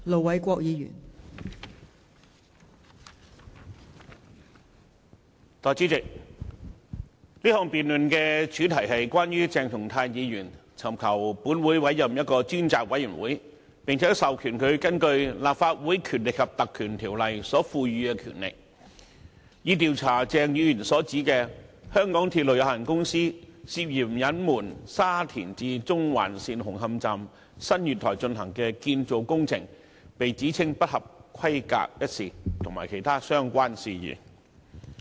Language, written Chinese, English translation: Cantonese, 代理主席，這項議案的主題是關於鄭松泰議員尋求本會委任一個專責委員會，並且授權這個專責委員會根據《立法會條例》所賦予的權力，調查鄭議員所指香港鐵路有限公司涉嫌隱瞞沙田至中環線紅磡站新月台進行的建造工程被指稱不合規格一事，以及其他相關事宜。, Deputy President the subject of this motion is that Dr CHENG Chung - tai seeks the consent of this Council to appoint a select committee and empower it to invoke the powers under the Legislative Council Ordinance to according to Dr CHENG inquire into the incident about the suspected concealment by the MTR Corporation Limited MTRCL of the alleged substandard construction works carried out at the new platforms of Hung Hom station of the Shatin to Central Link SCL and other related matters